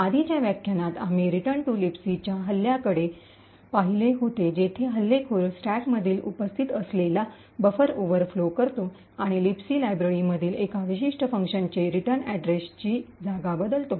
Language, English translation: Marathi, In the earlier lecture we had looked at Return to Libc attack where the attacker overflows a buffer present in the stack and replaces the return address with one specific function in the Libc library